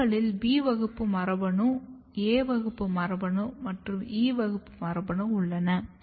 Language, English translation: Tamil, So, A class gene is here B class gene is here C class genes are here E class genes are here